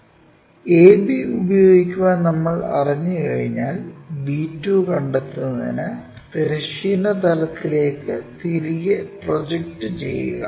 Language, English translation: Malayalam, Once, we know use a b, project it back this a b onto horizontal plane to locate b 2